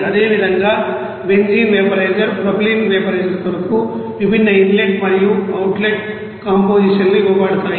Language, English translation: Telugu, Similarly, for benzene vaporizer propylene vaporizer, what are the different inlet and outlet compositions are given